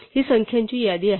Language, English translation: Marathi, These are list of numbers